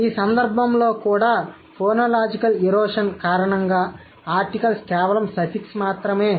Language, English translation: Telugu, In this case also, because of the phonological erosion, the articles have become just a suffix